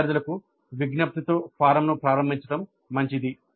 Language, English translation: Telugu, So it is better to start the form with an appeal to the students